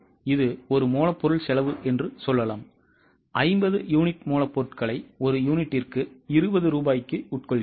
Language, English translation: Tamil, Let us say it is a raw material cost and we are consuming 50 units of raw material at rupees 20 per unit